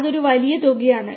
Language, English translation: Malayalam, That is a huge amount